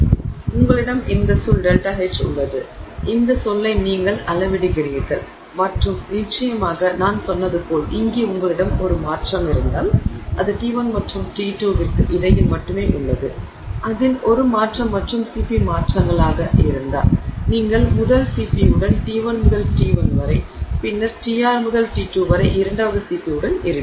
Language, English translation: Tamil, So, you have these terms, delta H that you measure will be all these terms and of course as I said here it is only it is between T1 and T2 if you have a transformation in which if there is a transformation and the CP changes then you will have T1 to TR with the first and then TR to T2 in the second CP